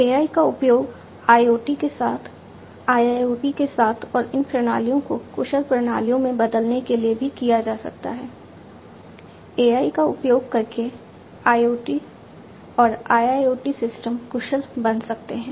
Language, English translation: Hindi, AI can be used in along with IoT, along with IIoT and also to transform these systems into efficient systems; IoT systems and IIoT systems efficient using AI